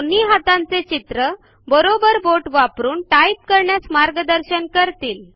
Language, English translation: Marathi, The two hand images will guide you to use the right finger to type the character